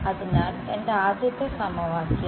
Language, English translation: Malayalam, So, this becomes my equation 5